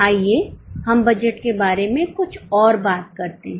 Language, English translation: Hindi, Let us talk a little more about budget